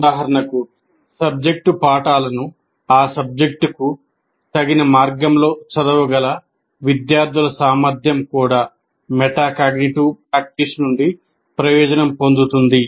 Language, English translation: Telugu, For instance, students' ability to read disciplinary texts in discipline appropriate ways would also benefit from metacognitive practice